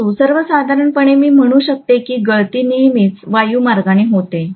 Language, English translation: Marathi, But in general what I can say is the leakage is invariably through the air path